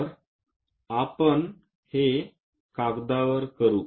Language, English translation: Marathi, So, let us do that on page